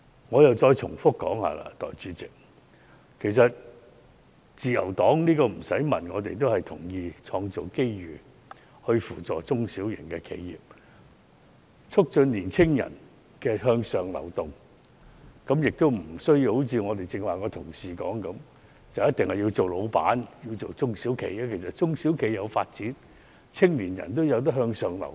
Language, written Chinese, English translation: Cantonese, 代理主席，我重複說，自由黨毫無疑問同意要創造機遇扶助中小型企業及促進青年人向上流動，其實無須如剛才的同事所說，青年人必須要做老闆，因為如果中小企有所發展，青年人也可以向上流動。, Deputy President I repeat once again The Liberal Party absolutely agrees that we should create opportunities to assist small and medium enterprises SMEs and promote upward mobility of young people . However it is not as suggested by other Members earlier that young people must start their own business . If SMEs are well developed young people can also move upward